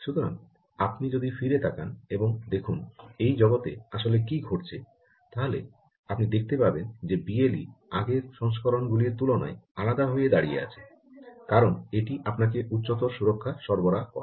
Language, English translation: Bengali, so if you go, if you look at what has actually happening in this world and come back, you will see that b l e had to stand out compared to previous versions because it provides you superior security